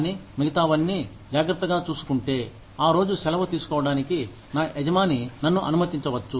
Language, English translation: Telugu, But, if everything else is taken care of, my boss may permit me, to take that day off